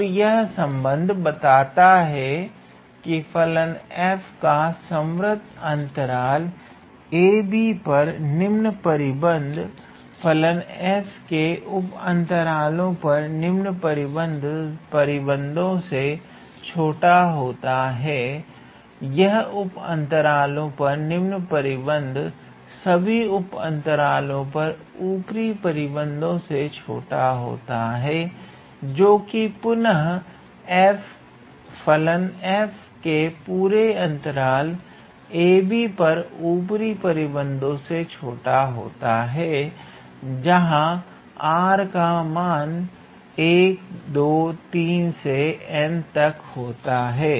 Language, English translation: Hindi, And this relation says that the lower bound of the function f on the closed interval a comma b will be lesser equal to the lower bound of the function f on all the sub intervals, which is lesser equal to the upper bound of the function f on all the sub intervals, which is less than or equal to the upper bound of the function f on the whole interval a comma b for r running from 1, 2, 3 up to n